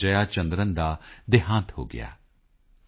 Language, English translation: Punjabi, Jayachandran passed away in Chennai